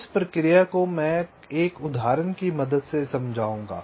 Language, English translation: Hindi, so the process i will just explain with the help of an example